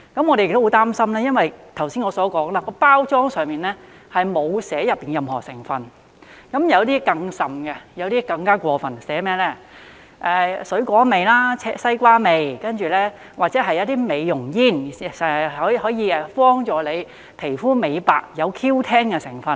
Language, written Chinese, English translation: Cantonese, 我們亦很擔心，因為正如剛才我所說，包裝上並無列明內裏任何成分，有些更甚、更加過分的是，寫上水果味、西瓜味，或者標明是美容煙，可以幫助吸食者美白皮膚，有 Q10 的成分。, We are also very worried because as I have just said the packages do not specify the composition . What is more outrageous is that some are even labelled as fruit flavour watermelon flavour or specified as beauty cigarettes with Q10 as the ingredient which can whiten the skin of smokers